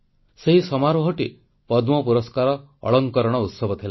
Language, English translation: Odia, And the ceremony was the Padma Awards distribution